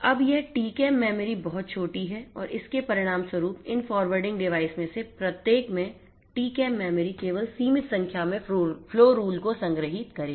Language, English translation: Hindi, Now, this TCAM memory is very small and consequently this TCAM memory in each of these forwarding devices will store only a limited number of flow rules